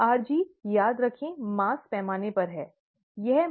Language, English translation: Hindi, rg, remember, is on a mass basis, right